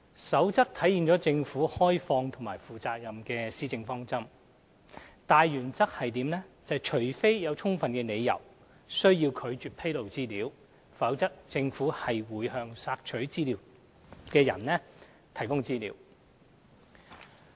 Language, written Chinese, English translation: Cantonese, 《守則》體現政府開放和負責任的施政方針，大原則是除非有充分理由需要拒絕披露資料，否則政府會向索取資料人士提供資料。, The Code provides that for the sake of openness and accountability the Government will make available information that it holds to the information requestor unless there are valid reasons to withhold disclosure of information